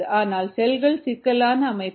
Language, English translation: Tamil, but the cells are complex systems